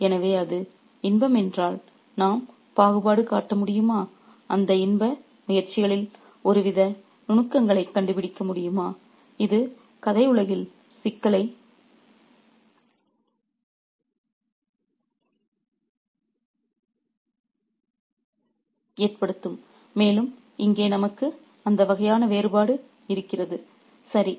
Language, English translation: Tamil, So, if its pleasure can we discriminate, can we find some kind of nuances in those pleasure pursuits which will cause a problem in the story world and we do have that kind of contrast here